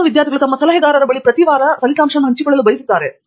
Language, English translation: Kannada, Some students would like to see their advisors every week and share